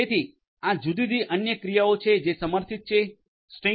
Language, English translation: Gujarati, So, these are the different other operations that are supported assignment of strings